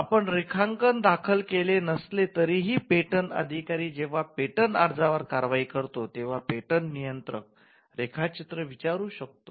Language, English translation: Marathi, Even if you do not file the drawings, the patent controller can ask for drawings, when the patent officer is prosecuting your patent application